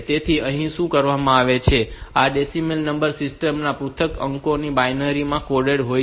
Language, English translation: Gujarati, So, here what is done is that this individual digits of this decimal number system they are coded into binary